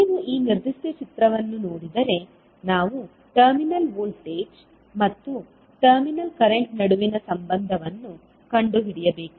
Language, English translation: Kannada, If you see this particular figure, we need to find out the relationship between terminal voltage and terminal current